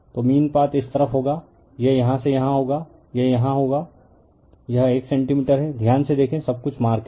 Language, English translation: Hindi, So, mean path will be this side it will take from here it will be here to here it is 1 centimeter see carefully everything is marked